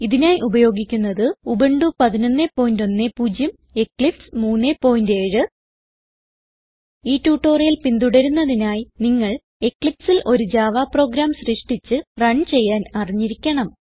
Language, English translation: Malayalam, For this tutorial we are using Ubuntu 11.10 and Eclipse 3.7 To follow this tutorial you must know how to create and run a Java Program in Eclipse